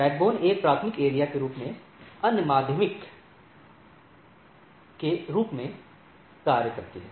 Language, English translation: Hindi, The backbone acts as a primary area other as secondary